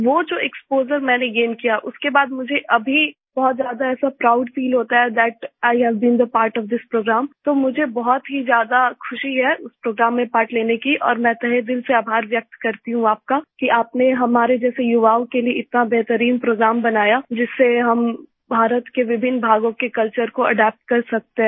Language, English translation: Hindi, with the exposure that I gained, I now feel very proud that I have been a part of this program, so I am very happy to have participated in that program and I express my gratitude to you from the core of my heart that you have made such a wonderful program for youths like us so that we can adapt to the culture of different regions of India